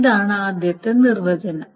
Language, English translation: Malayalam, Now this is the first definition